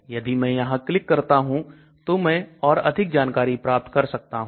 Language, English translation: Hindi, So if I click I get more information on this